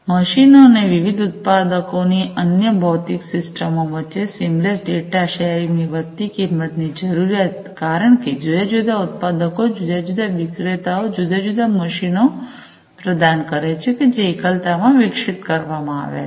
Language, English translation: Gujarati, Increased cost need for seamless data sharing between the machines, and other physical systems from different manufacturer, because you know different manufacturers, different vendors are providing different machines, that have been, you know, that have been developed in isolation, right